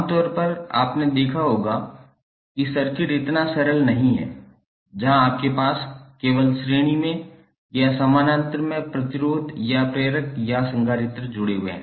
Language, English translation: Hindi, Generally, you might have seen that the circuit is not so simple, where you have only have the resistors or inductors or capacitors in series or in parallel